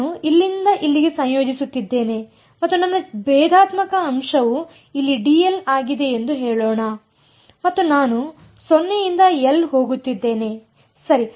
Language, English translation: Kannada, I am integrating from here to here and let us say my differential element is d l over here and I am going from 0 to l ok